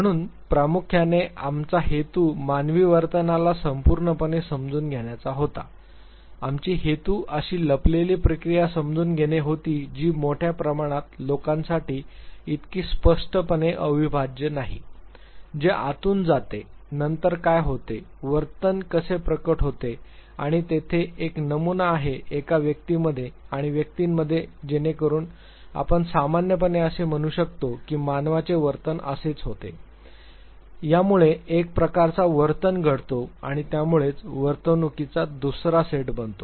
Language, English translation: Marathi, So, primarily our intention was to understand human behavior in totality, our intention was to understand the hidden process which is not so glaringly indivisible to public at large what goes within, what comes afterwards, how the behavior gets manifested and is there a pattern within an individual and between individuals so that we can generalize that this is how human beings behave, this is what leads to one types of behavior and that is what leads to the second set of behavior